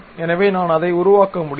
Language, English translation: Tamil, So, that is the way I can really construct it